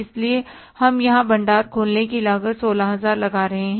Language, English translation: Hindi, So we are putting here the cost of opening stock is 16,000